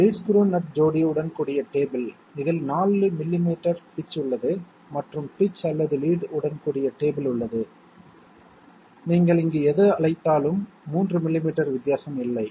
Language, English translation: Tamil, Table with lead screw nut pair, which is having a pitch of 4 millimetres and there is a table with a pitch or lead whatever you call it here, it makes no difference of 3 millimeters